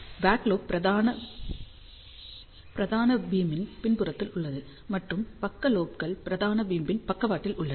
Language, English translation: Tamil, So, back lobe is in the back side of the main beam, and side lobes are along the side of the main beam